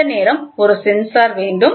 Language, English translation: Tamil, Then you will have a sensor